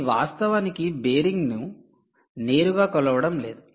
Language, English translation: Telugu, its not going to actually measure the bearing directly